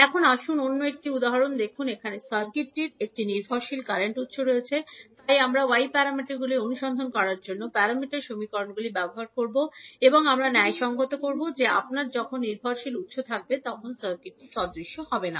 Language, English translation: Bengali, Now, next let us see another example, here the circuit is having one dependent current source, so we will use the parameter equations to find out the y parameters and we will justify that when you have the dependent source the circuit will not be reciprocal